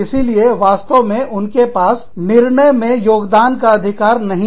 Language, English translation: Hindi, So, they do not really have a say, in the decision making